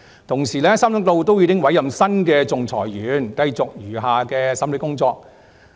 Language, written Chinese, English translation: Cantonese, 同時 ，3 宗個案均已委任新的仲裁員，繼續案件餘下的審理程序。, At the same time new arbitrators have been appointed in the three cases to continue with the remaining procedure